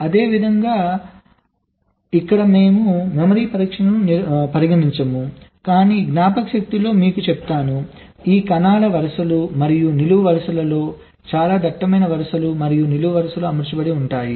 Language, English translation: Telugu, of course here we shall not be considering memory testing, but let me tell you, in memory this, cells are arranged in rows and columns